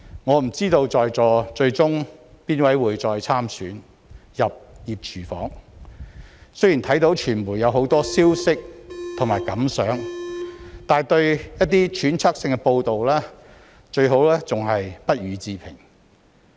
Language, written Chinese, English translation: Cantonese, 我不知道在座各位最終誰人會再參選，入"熱廚房"，雖然我看到傳媒有很多消息和想法，但對於一些揣測性的報道，最好還是不予置評。, Well I do not know which Members present here will ultimately run for re - election and take the hot seat once again . I have come across a lot of news and ideas in the media but it is best not to comment on speculative media reports